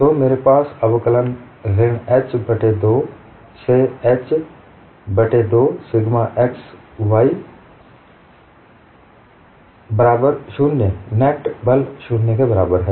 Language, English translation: Hindi, So I have integral minus h by 2, to h by 2 sigma x dy equal to 0